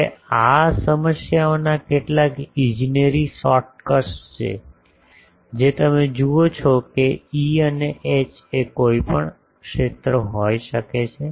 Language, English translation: Gujarati, Now, there are some engineering shortcuts to this problems that you see this E and H can be any field